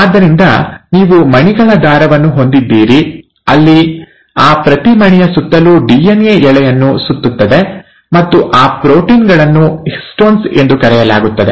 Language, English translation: Kannada, So it's like, you have a string of beads, where each bead around that bead, the DNA strand wraps, and those proteins are called as the Histones